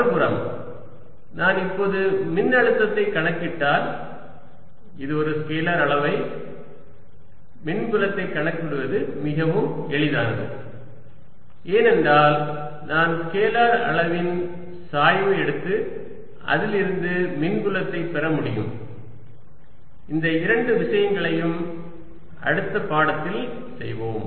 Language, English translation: Tamil, on the other hand, if i now calculate the potential, which is a scalar quantity, calculating electric field becomes quite easy because i can just take the gradient of the scalar quantity and obtained the electric field on it